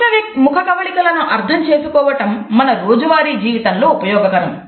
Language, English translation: Telugu, Understanding micro expressions is beneficial in our day to day life